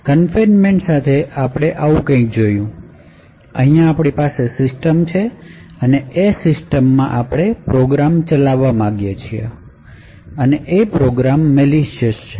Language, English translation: Gujarati, So, with confinement we had looked at something like this, we had a system over here and within this particular system we wanted to run a particular program and this program may be malicious